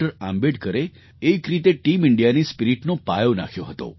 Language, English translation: Gujarati, Ambedkar had laid the foundation of Team India's spirit in a way